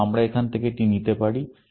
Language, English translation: Bengali, So, we can take this from here